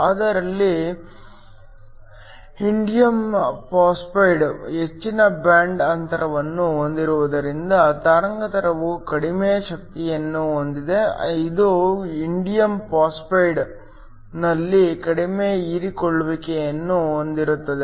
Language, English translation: Kannada, But here since indium phosphide has a higher band gap, wavelength whose energy is less then this will have a very little absorption in the indium phosphide